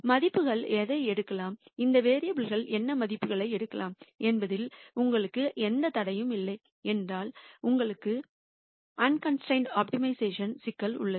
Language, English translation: Tamil, And if you have no constraints on what the values can take, what the values these variables can take, then you have an unconstrained optimization problem